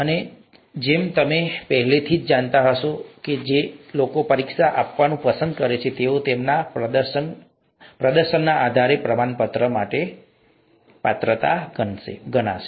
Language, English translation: Gujarati, And as you would already know, the people who opt to take the exam are eligible for a certificate depending on their performance